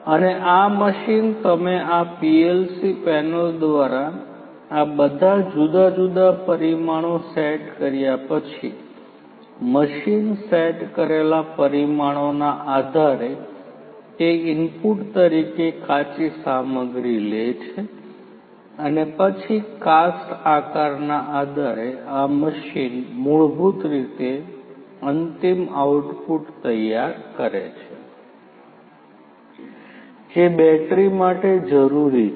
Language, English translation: Gujarati, And this machine you know after you have set up all these different parameters through this PLC panel, based on the parameters that are set the machine basically takes those input raw materials and then based on the shape the cast and so on this machine basically prepares the final output the case that is required for the batteries